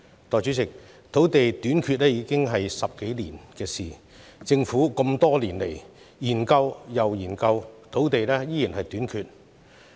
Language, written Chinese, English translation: Cantonese, 代理主席，土地短缺已經十數年，政府多年來研究又研究，土地依然短缺。, Deputy President land shortage has haunted Hong Kong for more than a decade . Yet this problem continues to exist after the Government conducted repeated studies over the past years